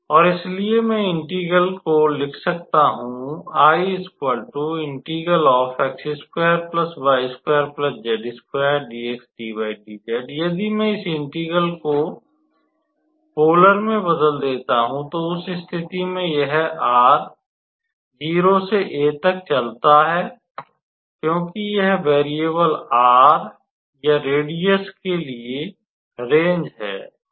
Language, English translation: Hindi, So, if I transform this integral into a polar one, then in that case this will be r running from 0 to a, because that is the range for the variable r or the radius